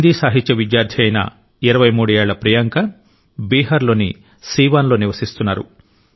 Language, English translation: Telugu, 23 year old Beti Priyanka ji is a student of Hindi literature and resides at Siwan in Bihar